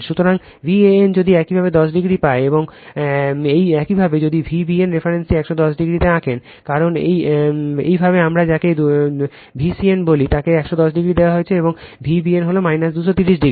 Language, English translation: Bengali, So, V a n if you got 10 degree, and with respect to that if you draw the reference V b n in 110 degree, because it is your what we call sorry V c n is given 110 degree, and V b n is minus 230 degree